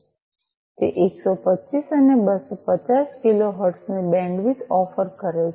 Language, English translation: Gujarati, It offers bandwidth of 125 and 250 kilo hertz